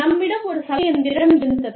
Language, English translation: Tamil, We had a washing machine